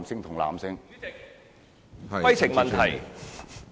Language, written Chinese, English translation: Cantonese, 主席，規程問題。, Chairman point of order